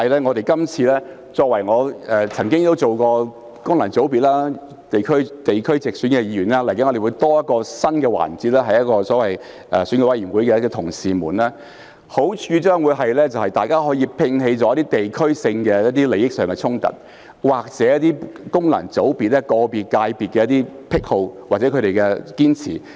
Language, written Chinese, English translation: Cantonese, 我曾經擔任功能界別和地區直選的議員，未來會有新增的所謂選舉委員會的同事們，好處將會是大家可以摒棄一些地區性的利益衝突，或者個別功能界別的癖好或堅持。, I have served as a Member returned by a functional constituency and a Member returned by a geographical constituency through direct election . In the future there will be new colleagues from the so - called Election Committee . The advantage of this is that Members can put aside the conflicts of interest between geographical constituencies or the obsession or insistence of individual functional constituencies